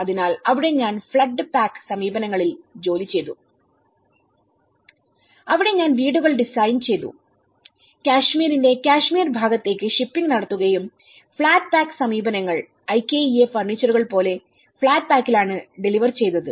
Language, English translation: Malayalam, So, there I was working in the flood pack approaches where I was designing the houses getting them made and where I was sending them, to shipping them to the Kashmir part of Kashmir and then shipping flat pack up using the flat pack approaches like we delivered the IKEA furniture